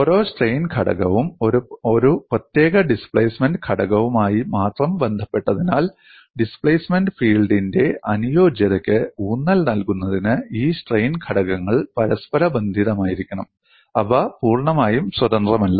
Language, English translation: Malayalam, Because each strain component is related to a particular displacement component based on that only, to emphasize compatibility of displacement field, these strain components have to be inter related; they are not totally independent